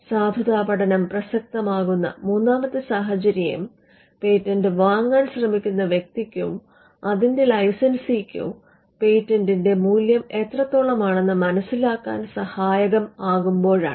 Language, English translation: Malayalam, The third scenario where a validity study will be relevant is to ensure that licensee or a person who is trying to buy out patent can have an understanding on how much the patent is worth